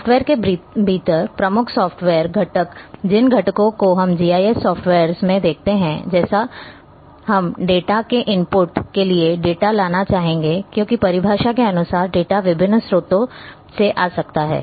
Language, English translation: Hindi, The key software components within the within the software the components which we look in GIS software like for input of the data we would like to bring the data because by definition data might be coming from variety of sources